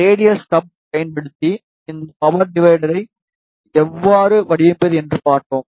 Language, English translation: Tamil, And we saw, how to design this power divider using radial stub